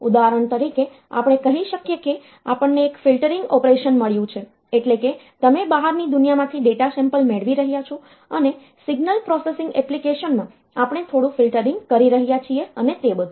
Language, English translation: Gujarati, For example, we can say that we have got the one filtering operation that is you are getting the data samples from the outside world and in a signal processing application, we are doing some filtering and all that